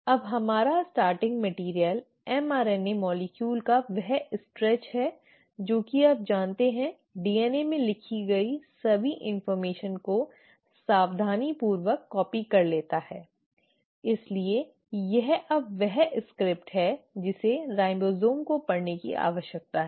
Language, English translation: Hindi, Now our starting material is this stretch of mRNA molecule which has, you know, meticulously copied all the information which was written in the DNA, so this is now the script which the ribosome needs to read